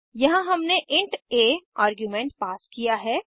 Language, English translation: Hindi, Here we have passed an argument as int a